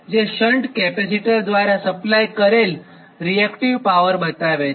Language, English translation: Gujarati, that is a reactive power supplied from the shunt capacitor